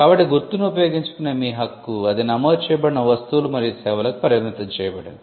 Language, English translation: Telugu, So, your right to use the mark is confined to the goods and services for which it is registered